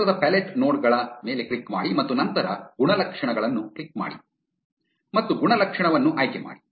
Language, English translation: Kannada, Click on the size pallet nodes and then attributes and choose an attribute